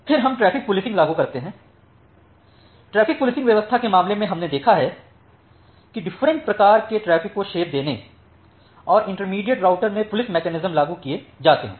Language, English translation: Hindi, Then we apply something called traffic policing, in case of traffic policing we have seen we have seen that different type of traffic shaping and the policing mechanisms are applied in intermediate routers